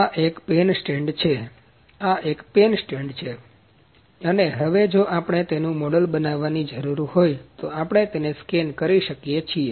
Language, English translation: Gujarati, So, this is a pen stand; this is a pen stand and the now we need to if we need to model the same, we can scan it